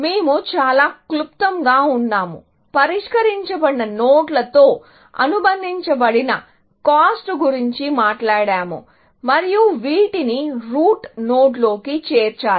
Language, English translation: Telugu, We have just very briefly, talked about the cost associated with solved nodes and which, have to be aggregated into the root node